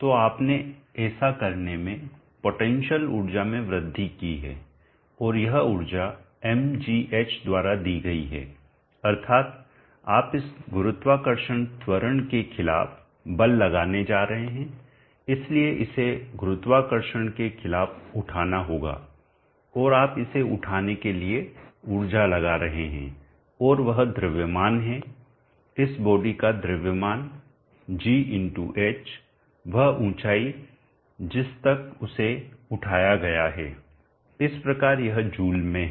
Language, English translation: Hindi, So you have increased the potential energy in doing so and this energy is given by mgh that is your going to do force against this gravitational acceleration so it has to be lifted against the gravity and your putting energy into it to lift it and that is mass of this body g x h the height to which it is lifted so is in joules so insisted of it is just being some mass jet us say this is a water body so if the water body the mass let us say can expressed as density into volume density of water